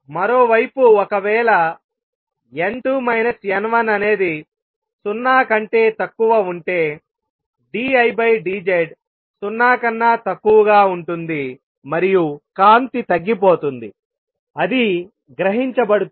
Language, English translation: Telugu, On the other hand if n 2 minus n 1 is less than 0 d I by d Z is going to be less than 0 and the light gets diminished it gets absorbed